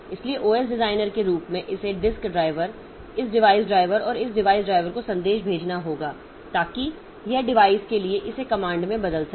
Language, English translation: Hindi, So, as OS designer it has to send messages to the disk driver, this device driver and this device driver will in turn translate it into command specific for the device